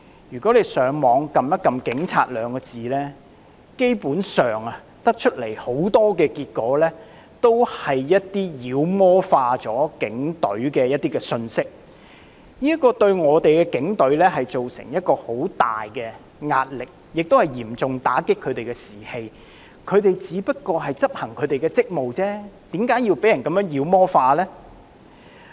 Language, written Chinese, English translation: Cantonese, 如果大家上網鍵入"警察"兩字，基本上所顯示的大都是一些把警隊妖魔化的信息，這對警隊造成極大壓力，亦嚴重打擊他們的士氣，他們只不過是執行職務而已，為何會被人如此妖魔化呢？, If we key in the word police online most of the hits returned would basically be messages demonizing the Police which not only create enormous pressure on the Police but also seriously undermine their morale . How come they are subjected to such demonization when they are only discharging their duties?